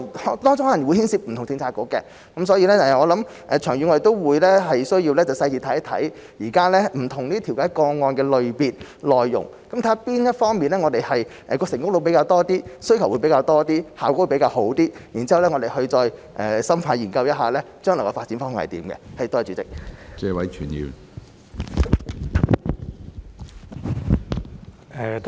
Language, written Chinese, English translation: Cantonese, 當中可能會牽涉不同政策局，所以長遠而言，我們需要仔細看看現在不同調解個案的類別、內容，看看哪方面的成功率比較高、需求比較多、效果比較好，然後再深入研究一下將來的發展方向。, It may involve different Policy Bureaux and thus in the long run we need to take a closer look at the types and contents of different mediation cases to see which areas have a higher success rate more demand and better results and then look into the future direction of development